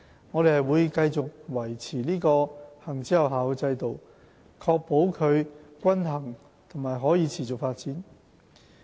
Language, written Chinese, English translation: Cantonese, 我們會繼續維持這個行之有效的制度，確保它均衡和可持續發展。, We will continue to maintain this system which has served us well and ensure that it can develop in a balanced and sustainable manner